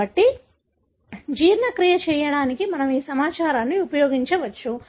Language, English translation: Telugu, So, we can use this information to do a digestion